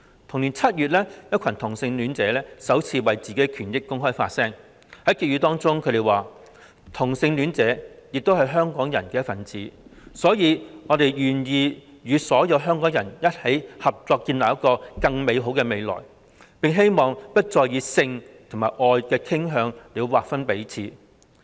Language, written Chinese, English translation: Cantonese, 同年7月，一群同性戀者首次為自己的權益公開發聲，在結語中指出："同性戀者也是香港人的一份子，所以我們願意與所有香港人一起合作建立一個更美好的未來，並希望不再以性與愛的傾向來劃分彼此"。, In July of the same year a group of homosexual people voiced openly for their own rights for the first time and concluded by saying Homosexual people are also people of Hong Kong and we are therefore willing to work together with all of you here in Hong Kong to create a better future and we hope that we will not be divided by sexual orientation